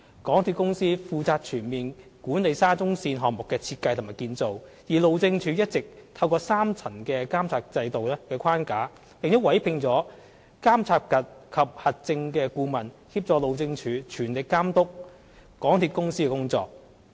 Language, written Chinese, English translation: Cantonese, 港鐵公司負責全面管理沙中線項目的設計及建造，而路政署一直透過三層監察制度的框架，並委聘了監察及核證顧問協助路政署全力監督港鐵公司的工作。, MTRCL is responsible for the overall management of the SCL project whereas the Highways Department has been closely monitoring the work of MTRCL through a 3 - tier monitoring mechanism in addition to engaging a Monitoring and Verification MV Consultant to assist in the monitoring work